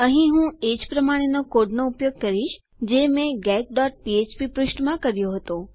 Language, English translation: Gujarati, Here I am going to use the same code as that of the get.php page